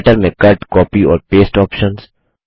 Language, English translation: Hindi, Cut, Copy and Paste options in Writer